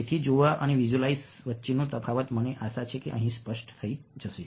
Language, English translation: Gujarati, so the difference between seeing and visualizing, i hope, becomes clear here